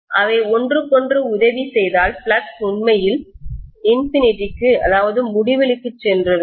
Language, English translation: Tamil, If they aid each other, the flux could have really gone to infinity